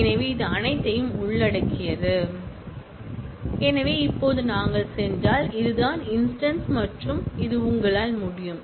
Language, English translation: Tamil, So, that makes it all inclusive So, now, if we go and this is the instance and this you can